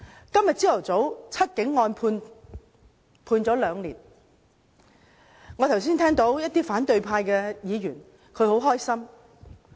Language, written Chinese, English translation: Cantonese, 今天早上，"七警案"判刑兩年，我剛才聽到一些反對派議員表示很高興。, This morning The Seven Cops were sentenced to two years imprisonment . Some Members of the opposition camp said that they were pleased